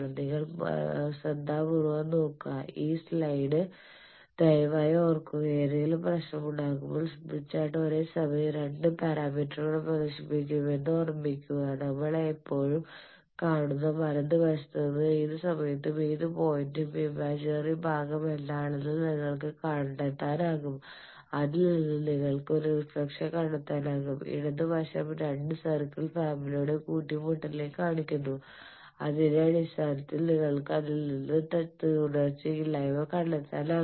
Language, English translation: Malayalam, You please remember this slide you look into carefully and remember that whenever any trouble you remember the smith chart simultaneously displays two parameters; the right side we are seeing always you can find out at any point what is the imaginary part of that and real part from that you can find out a reflection coefficient for that, left side shows it also is showing you in terms of intersection of two families of circles so you can find out impedance from that